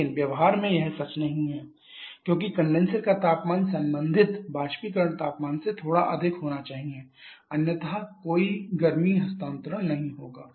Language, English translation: Hindi, But that is not true in practice because the condenser temperature has to be slightly higher than the corresponding evaporator temperature otherwise there will be no heat transfer